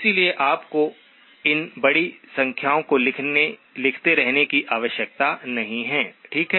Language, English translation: Hindi, So you do not have to keep writing these big numbers, okay